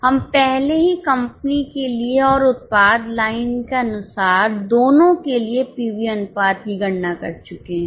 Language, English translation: Hindi, We have already calculated the PV ratios both for the company as a whole and as per the product line